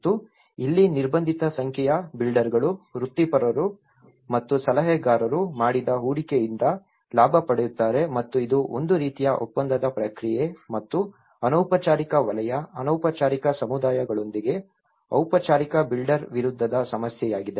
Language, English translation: Kannada, And this is where, a restricted number of builders, professionals and advisors benefit from the investment made and whatever it is a kind of contractual process and this the problem with this is where a formal builder versus with the informal sector, the informal communities